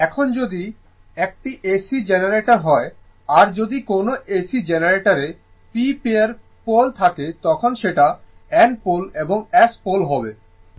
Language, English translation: Bengali, Now if an AC generator has p pairs of poles right when you have N pole and S pole, right